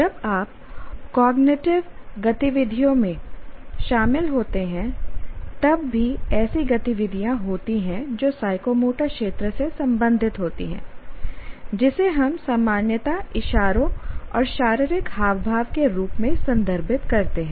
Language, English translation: Hindi, And as you can see that even while you are involved in cognitive activities, there are activities that belong to psychomotor domain, what we normally refer to as gestures and body language